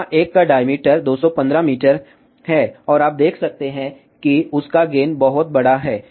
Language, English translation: Hindi, This one here has a diameter of 215 meter, and you can see that their gain is very very large